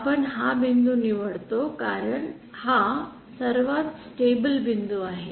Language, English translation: Marathi, We choose this point because this is the most stable point